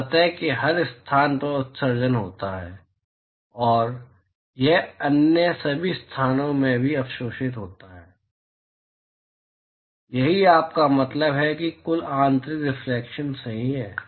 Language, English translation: Hindi, So, there is emission from every location of the surface it is just absorbed in all other locations as well that is what you mean by total internal reflection right